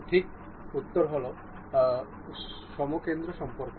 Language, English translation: Bengali, The correct answer is concentric relation